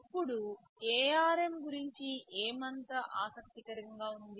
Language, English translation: Telugu, Now what is so interesting about ARM